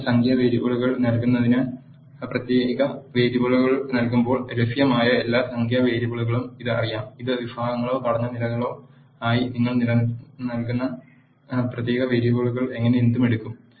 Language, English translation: Malayalam, When you enter numeric variables, it knows all the numeric variables that are available when you enter character variables it takes whatever the character variables you are giving as categories or factors levels